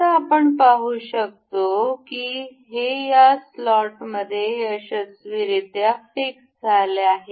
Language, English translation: Marathi, Now, we can see it is successfully fixed into the slot